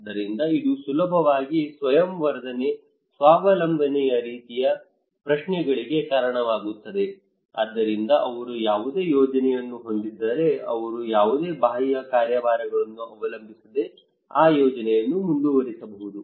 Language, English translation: Kannada, So that will easily lead to kind of self enhance, self reliance kind of questions so if they have any plan they can pursue that plan without depending on any external agencies